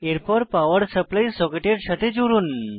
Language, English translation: Bengali, Now, connect the other end to a power supply socket